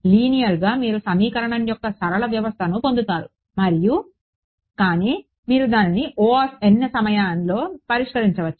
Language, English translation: Telugu, :Linear you get a linear system of equation and, but you can solve it in order n time